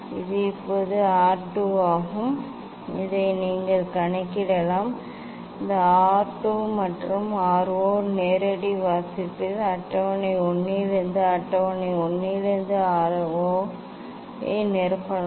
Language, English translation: Tamil, this is R 2 now from here you can calculate this you can fill up the later on this R 2 and R 0 direct reading, R 0 from the table 1 from table 1